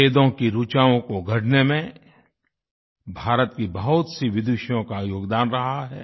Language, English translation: Hindi, Many Vidushis of India have contributed in composing the verses of the Vedas